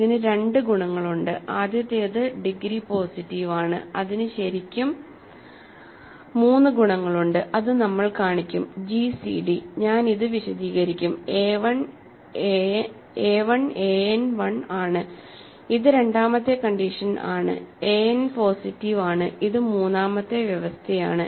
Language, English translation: Malayalam, And so, it has two properties: the first is that degree is positive, it has 3 properties really we will show that; gcd I will explain this a 1, a n, is 1, this is the second condition and a n is positive, this is the third condition